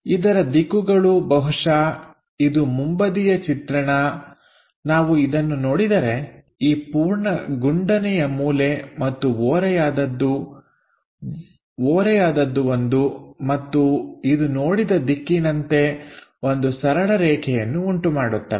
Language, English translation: Kannada, The direction for this perhaps this is the front view if we are looking that, this entire round corner and the slant one and this one in the view direction makes a straight line